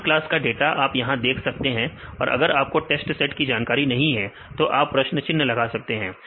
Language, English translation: Hindi, The same class data if you see the here; if you do not know the test set you can the question mark